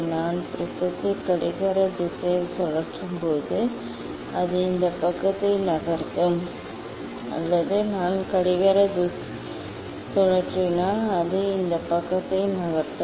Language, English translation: Tamil, when I will rotate the prism clockwise also it will move this side or if I rotate anti clockwise also it will move this side